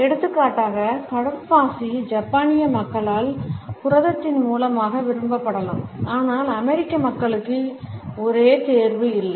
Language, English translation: Tamil, For example, seaweed may be preferred as a source of protein by the Japanese people, but the American people may not necessarily have the same choice